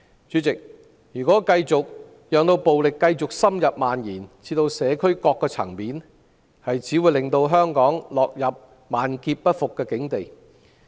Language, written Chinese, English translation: Cantonese, 主席，若繼續讓暴力深入蔓延至社區各個層面，只會令香港落入萬劫不復的境地。, President if violence continues to intensify and spread to all sectors of the community Hong Kong will be doomed eternally